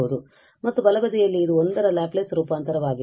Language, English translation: Kannada, And the right hand side it is the Laplace transform of 1